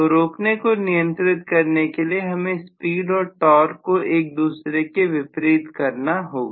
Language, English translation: Hindi, So control stopping will involve always the speed being opposed by the torque, right